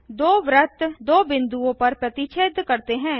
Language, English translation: Hindi, Two circles intersect at two points